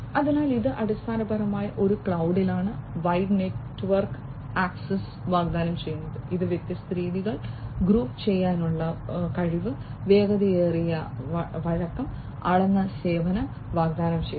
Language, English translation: Malayalam, So, this is basically in a cloud offers wide network access, it offers the capability of grouping different methods, faster flexibility, and offering measured service